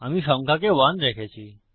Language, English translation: Bengali, Ive got the number set to 1